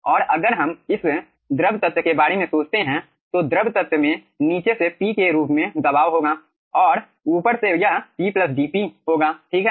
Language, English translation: Hindi, okay, and aah, if you think about this fluid element, the fluid element is having pressure from the bottom as p and from the top it is p plus dp